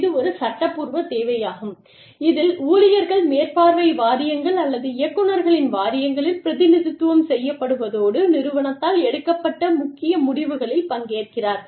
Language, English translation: Tamil, It is a legal requirement in which, employees are represented on supervisory boards, or boards of directors, and participate in major decisions, strategic decisions, taken by the organization